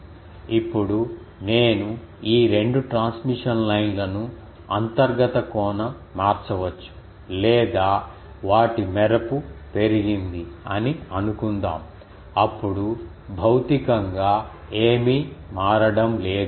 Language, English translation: Telugu, Now, suppose I change these 2 transmission line there um may internal angle or their flare is increased, then also it is reasonable that nothing physically is getting changed